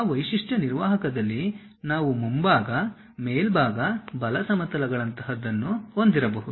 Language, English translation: Kannada, In that feature manager, we might be having something like front, top, right planes